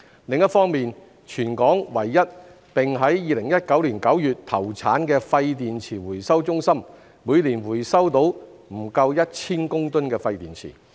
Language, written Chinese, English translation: Cantonese, 另一方面，全港唯一並於2019年9月投產的廢電池回收中心每年回收到不足1000公噸的廢電池。, On the other hand the only waste battery recycling centre in Hong Kong which commenced operation in September 2019 recovered less than 1 000 tonnes of waste batteries each year